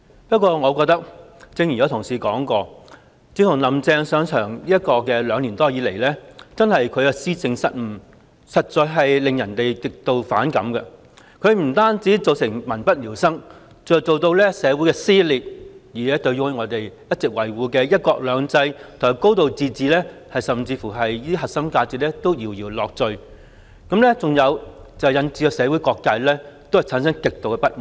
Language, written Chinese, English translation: Cantonese, 不過我覺得，正如有同事提到，"林鄭"上場兩年多以來，其施政失誤實在令人極度反感，她不單造成民不聊生，更引起社會撕裂，甚至令我們一直維護的"一國兩制"及"高度自治"這些核心價值搖搖欲墜，導致社會各界極度不滿。, But in my view as some Honourable colleagues have mentioned the policy blunders made by Carrie LAM during the two years after her assumption of office have made people extremely disgusted . She has not only created great hardship for the public but also social dissension . What is more she has even caused the core values of one country two systems and a high degree of autonomy that we have been upholding to falter leading to extreme dissatisfaction among people from all walks of life in society